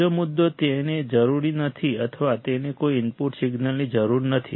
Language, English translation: Gujarati, Second point it will not require or it does not require any input signal